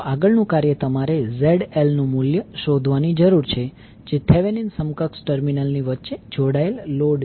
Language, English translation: Gujarati, Next task is you need to find out the value of ZL, which is the load connected across the terminal of the Thevenin equivalent